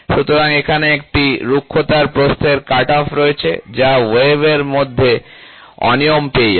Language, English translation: Bengali, So, here is a roughness width cutoff, which is within the wave you will have irregularities